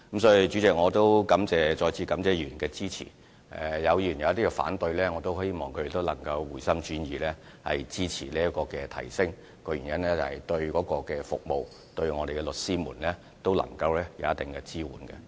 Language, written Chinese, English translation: Cantonese, 主席，我再次感謝議員的支持，若有議員反對，我也希望他們能回心轉意支持這次的費用提升，原因是決議案對服務和對律師都能夠提供一定支援。, President I wish to thank once again for Members support . If some Members are still opposed to the proposal I hope that they will change their minds and support the proposed increase this time around because the resolution can provide a certain degree of support to the service as well as lawyers